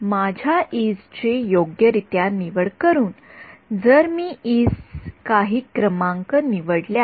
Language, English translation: Marathi, By choosing my e’s appropriately, if I chose e’s to be some numbers